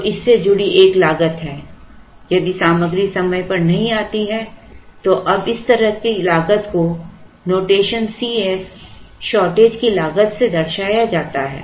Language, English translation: Hindi, So, there is a cost associated with this if the material does not come in time, now such a cost is given by the notation C s cost of shortage